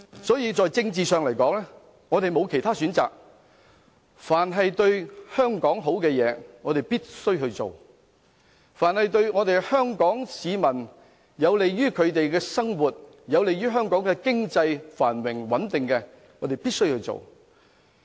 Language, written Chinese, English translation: Cantonese, 所以，在政治上來說，我們沒有其他選擇，凡對香港好的東西，我們必須做；凡有利於香港市民生活、經濟繁榮穩定的工作，我們必須做。, As far as politics is concerned we have no choice . As long as a task is beneficial to Hong Kong or helpful to the peoples life and Hong Kongs prosperity and stability we must do it